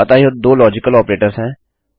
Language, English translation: Hindi, So these are the two logical operators